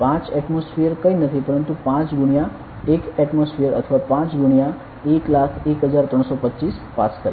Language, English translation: Gujarati, 5 atmosphere is nothing, but 5 into one atmosphere or 5 into 101325 Pascal